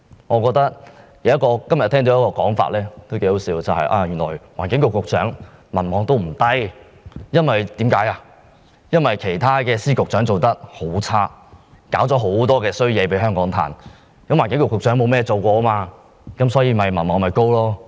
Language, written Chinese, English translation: Cantonese, 我聽到一種很可笑的說法，原來環境局局長的民望不算低，因為其他司局長表現很差，為香港帶來很多麻煩，而環境局局長沒有做過甚麼，所以民望高。, There is a very ridiculous saying that the popularity of the Secretary for the Environment is not too low because other Secretaries of Department and Directors of Bureau have performed poorly and created a lot of trouble for Hong Kong . As the Secretary for the Environment has done very little he has gained high popularity